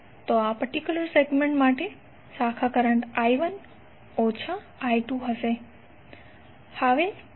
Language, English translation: Gujarati, So for this particular segment the branch current would be I1 minus I2